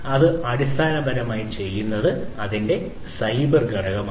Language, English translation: Malayalam, So, this is basically done by the cyber component of it